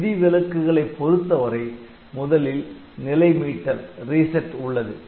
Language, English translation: Tamil, As far as the exceptions are concerned so, reset is there